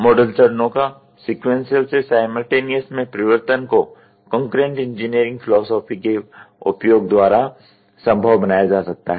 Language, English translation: Hindi, The change of the model steps from sequential into simultaneous can be facilitated by the use of concurrent engineering philosophy